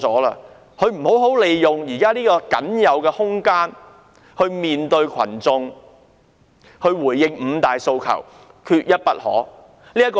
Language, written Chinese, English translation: Cantonese, 她沒有好好利用現在僅餘的空間面對群眾，回應缺一不可的"五大訴求"。, She has not made good use of the remaining room to face the public and respond to the five demands not one less